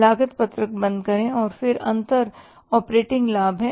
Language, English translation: Hindi, Close the cost sheet and the difference is the operating profit